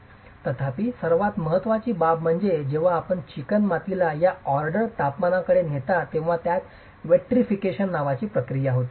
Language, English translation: Marathi, However, the most important aspect is when you take the clay to a temperature of this order, it undergoes a process called vitrification